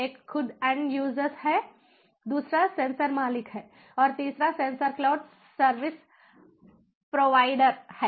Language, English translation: Hindi, one is the end users themselves, the second is the sensor owners